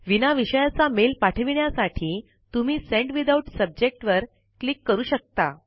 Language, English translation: Marathi, To send the mail without a Subject Line, you can click on Send Without Subject